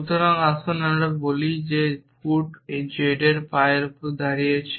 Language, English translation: Bengali, So, let us say feet was stands for z's feet